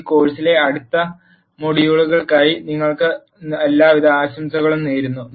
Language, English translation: Malayalam, Wish you all the best for the next modules in this course